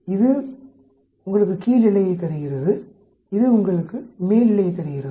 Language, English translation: Tamil, This gives you the lower boundary and this gives you the upper boundary